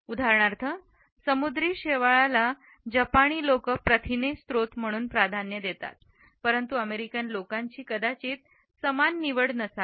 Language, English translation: Marathi, For example, seaweed may be preferred as a source of protein by the Japanese people, but the American people may not necessarily have the same choice